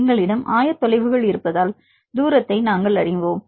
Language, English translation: Tamil, Because we have the coordinates, so we know the distance